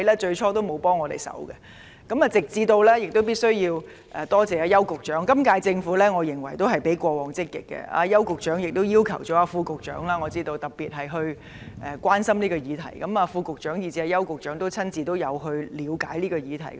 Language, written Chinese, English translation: Cantonese, 就此，我必須感謝邱騰華局長，我認為今屆政府較過往積極，我知道邱局長特別要求副局長關心這項議題，邱局長和副局長也有親自了解問題。, In this connection I must express my appreciation to Secretary for Commerce and Economic Development Edward YAU . In my view the current Administration has been more proactive than its predecessors . I know that Secretary Edward YAU has specially asked the Under Secretary for Commerce and Economic Development to take note of this issue